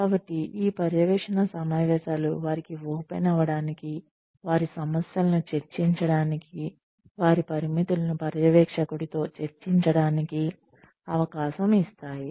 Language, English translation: Telugu, So, these monitoring meetings give them, a chance to open up, to discuss their concerns, to discuss their limitations, with the supervisor